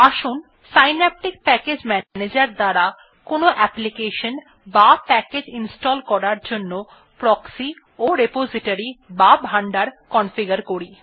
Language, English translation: Bengali, Let us configure Proxy and Repository in Synaptic Package Manager for installing an application or package